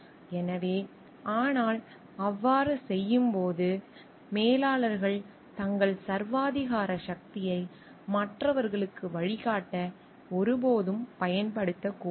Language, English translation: Tamil, So, but in doing so, managers should like never use their authoritarian power to guide others